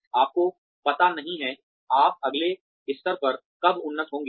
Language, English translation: Hindi, You do not know, when you will be advanced to the next level